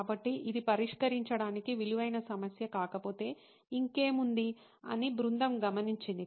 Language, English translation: Telugu, So, the team observed that if this is not a problem worth solving then what else is